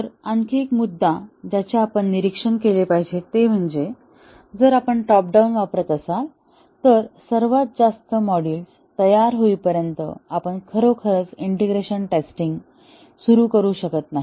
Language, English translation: Marathi, So, another point that we need to observe is that if we are doing a top down approach, we cannot really start testing integration testing until the top most module is ready